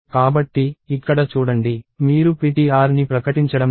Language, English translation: Telugu, So, see here, you are not declaring ptr